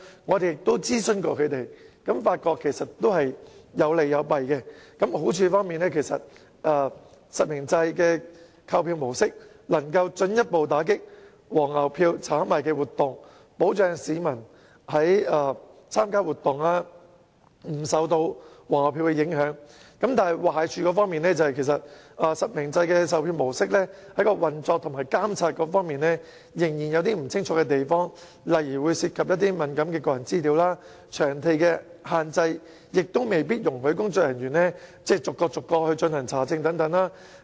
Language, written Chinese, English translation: Cantonese, 我們也曾諮詢他們，發現其實實名制有利亦有弊，好處是實名制的購票模式能夠進一步打擊"黃牛票"的炒賣活動，保障市民參加活動不會受到"黃牛票"影響；但壞處是實名制售票模式在運作和監察方面仍然有不清晰之處，例如會涉及敏感的個人資料、場地限制未必容許工作人員逐一查證等。, The advantage of purchasing tickets by way of real name registration is that scalping activities can be further combated so that the public can be safeguarded from the impact of scalped tickets when participating in the activities . But for the disadvantage there are still some grey areas in the operation and monitoring of selling tickets by way of real name registration . For example sensitive personal data will be involved and the staff may not be allowed to check the identity of each ticket holder due to venue constraints